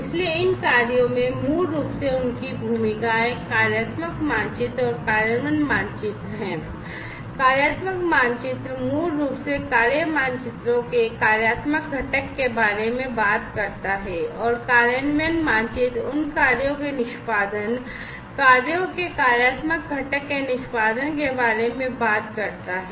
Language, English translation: Hindi, So, these tasks basically have their roles the functional map and the implementation map, the functional map basically talks about the functional component of the task maps, and the implementation map talks about the execution of those tasks, execution of the functional component of the tasks functional map, and the execution of the tasks implementation map